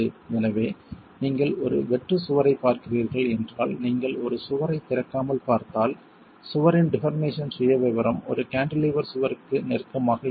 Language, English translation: Tamil, So, if you are looking at a blank wall, if you are looking at a wall without openings, the deform profile of the wall is closer to a cantilevered wall